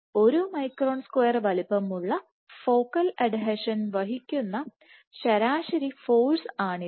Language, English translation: Malayalam, So, this was the average force sustained by a focal adhesion of size 1 micron squares